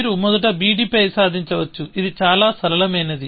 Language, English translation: Telugu, You can achieve on b d first, which is very simple